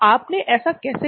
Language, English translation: Hindi, How did you do this